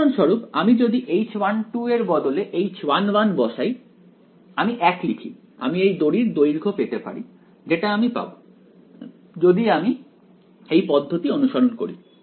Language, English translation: Bengali, For example, if I put H 1 instead of H 1 2 I write 1 I should get the length of this string which I will get if I follow this recipe